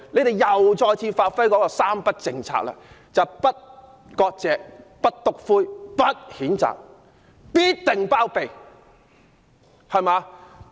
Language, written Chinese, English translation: Cantonese, 答案是再次發揮"三不政策"的精神，"不割席、不'篤灰'、不譴責"，包庇到底。, They do so by practising the spirit of the three nos policy namely no severing ties no snitching no condemnation and cover up for him till the very end